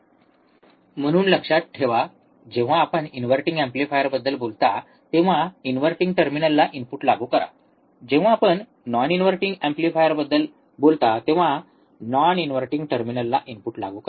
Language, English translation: Marathi, So, always remember when you talk about inverting amplifier, apply the input to inverting talk about the non inverting amplifier apply input to non inverting terminal